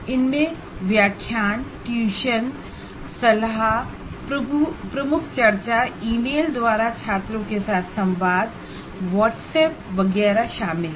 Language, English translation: Hindi, These include lecturing, tutoring, mentoring, leading discussions, communicating with students by email, WhatsApp, etc